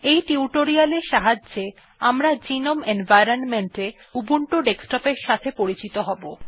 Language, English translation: Bengali, Using this tutorial, we will get familiar with the Ubuntu Desktop on the gnome environment